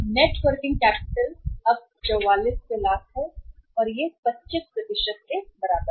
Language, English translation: Hindi, Net working capital is now it is 4400 lakhs 4400 lakhs and this works out as how much 25%